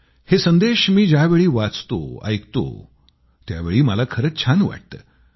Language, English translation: Marathi, When I read them, when I hear them, it gives me joy